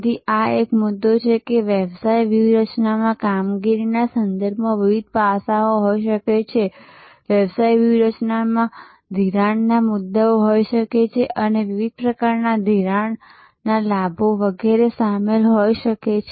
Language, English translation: Gujarati, So, this is a point that in a business strategy, there are may be different aspects with respect to operations, in a business strategy there could be financing issues, different types of financing leveraging, etc may be involved